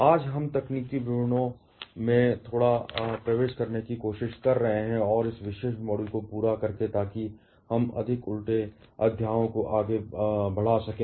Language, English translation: Hindi, Today we shall be trying to enter a bit to the technical details and there by complete this particular module, so that we can move forward to more inverted chapters